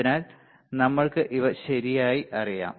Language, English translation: Malayalam, So, we know this things right